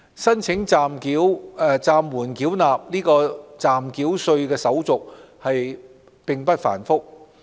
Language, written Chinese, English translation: Cantonese, 申請暫緩繳納暫繳稅的手續並不繁複。, The application procedures for holdover of provisional tax are not complicated